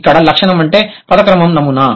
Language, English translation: Telugu, The trait here is the worded a pattern